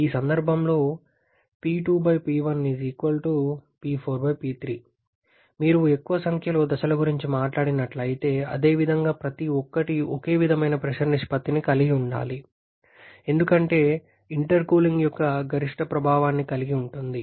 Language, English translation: Telugu, And if you are talking about, more number of stages, in the same way every should have the same pressure ratio due to have the maximum effect of the intercooling